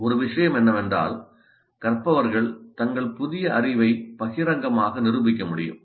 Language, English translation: Tamil, One of the things can be that learners can publicly demonstrate their new knowledge